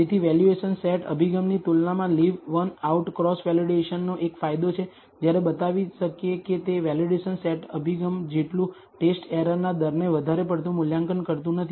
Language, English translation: Gujarati, So, Leave One Out Cross Validation has an advantage as compared to the valuation set approach, when to, we can show that it does not overestimate the test error rate as much as the validation set approach